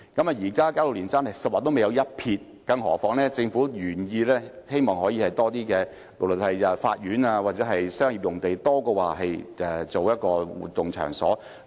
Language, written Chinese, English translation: Cantonese, 現時加路連山用地是"十劃未有一撇"，更何況政府的原意是把用地作法院或商業用途，多於用作活動場所。, The Caroline site is just at its very initial stage of planning not to mention that the original intent of the Government is to use the site for judicial facilities or commercial purposes rather than for activity venue